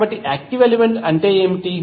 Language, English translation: Telugu, So, active element is what